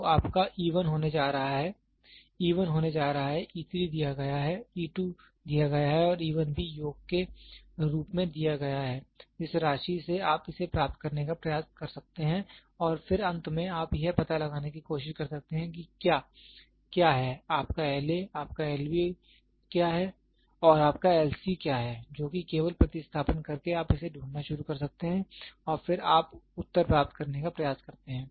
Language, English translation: Hindi, So, your e 1 is going to be e 1 is going to be e 3 is given e 2 is given and e 1 is also given from the sum you can try to get this and then finally, you can try to find out what is your L A, what is your L B and what is your L C, which is just by substituting you can start finding it out and then you try to get the answer